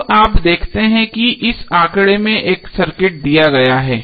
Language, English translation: Hindi, Now you see there is a circuit given in this figure